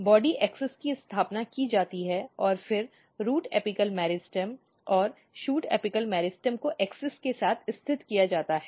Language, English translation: Hindi, And one very important thing what happens that, the axis body axis is established and then the root apical meristem and shoot apical meristems are positioned along the axis